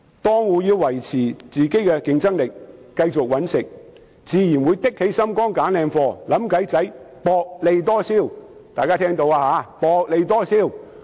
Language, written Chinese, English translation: Cantonese, 檔戶要維持競爭力和繼續謀生，自然會"扚起心肝"挑選優質貨品，想方法薄利多銷。, In order to maintain their competitive edge and make a living the stall operators will naturally be determined to select quality goods and come up with ways to boost sales by pursuing a smaller profit margin